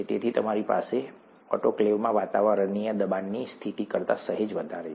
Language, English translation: Gujarati, So you have slightly higher than atmospheric pressure conditions in the autoclave